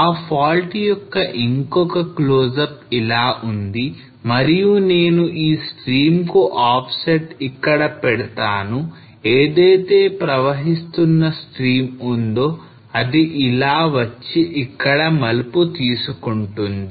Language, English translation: Telugu, We will have another close up of that the fault comes here and I will just put the offset here of this stream which is flowing stream comes like that and then take turns here